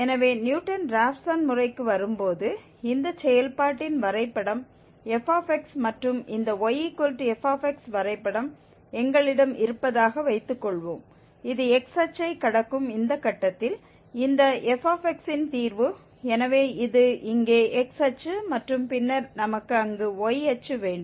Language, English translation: Tamil, So coming to the Newton Raphson method, suppose we have this y is equal to f x, the graph of this function f x and suppose this is the root here of this f x at this point where it crosses the x axis, so this is here x axis and then we have y axis there